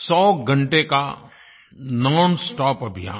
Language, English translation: Hindi, A hundredhour nonstop campaign